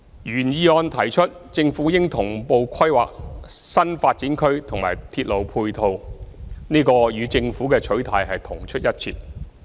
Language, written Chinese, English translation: Cantonese, 原議案提出政府應同步規劃新發展區和鐵路配套，這與政府的取態同出一轍。, The original motion proposes that the Government should plan new development areas in tandem with their ancillary railway facilities . This is consistent with the Governments stance